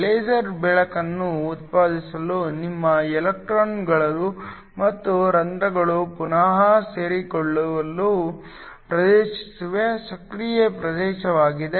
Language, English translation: Kannada, The active region is the region where your electrons and holes recombine in order to produce the laser light